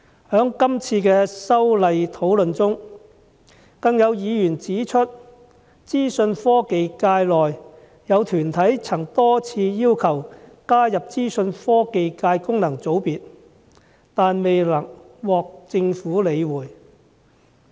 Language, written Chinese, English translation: Cantonese, 在這次修例的討論中，有議員指出，有資訊科技界團體多次要求加入資訊科技界功能界別，但未獲政府理會。, During the discussion on the current legislative amendments a Member has pointed out that some organizations in the information technology sector have requested repeatedly for inclusion in the Information Technology FC but were ignored by the Government